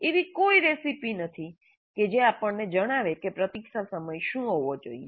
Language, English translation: Gujarati, So there is no recipe which tells us what should be the wait time